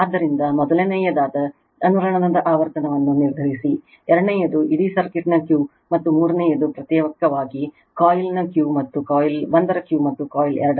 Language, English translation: Kannada, So, determine the frequency of the resonance that is first one; second one, Q of the whole circuit; and 3 Q of coil 1 and Q of coil 2 individually